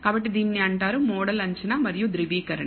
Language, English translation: Telugu, So, this is called model assessment and validation